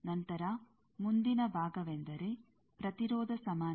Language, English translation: Kannada, Then the next part is impedance equivalence